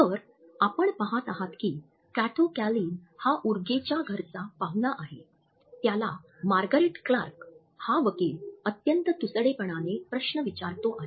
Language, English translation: Marathi, So, you are going to see Kato Kaelin is houseguest of Urge a sentence who is being questioned by Margaret Clark, a district attorney in an unfriendly fashion